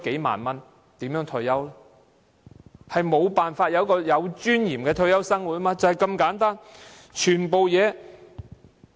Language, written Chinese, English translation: Cantonese, 他們無法享受有尊嚴的退休生活，問題就是這麼簡單。, They simply cannot afford to have a dignified retirement life